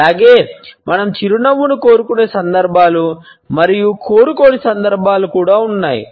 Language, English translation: Telugu, Also, the occasions on which we would like to smile and we would not like to smile